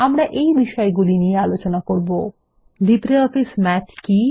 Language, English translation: Bengali, We will learn the following topics: What is LibreOffice Math